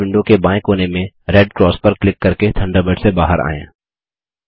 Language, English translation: Hindi, Lets exit Thunderbird, by clicking on the red cross in the left corner of the Thunderbird window